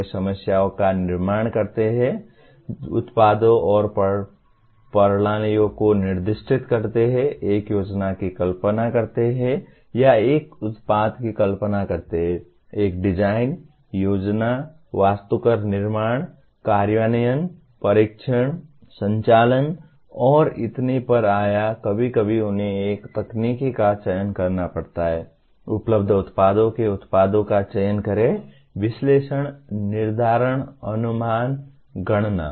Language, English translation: Hindi, They formulate problems, specify products and systems, conceive a plan or conceive a product, design, plan, architect, build, implement, test, operate and so on or sometimes they have to select a technology, select products from available range of products, analyze, determine, estimate, calculate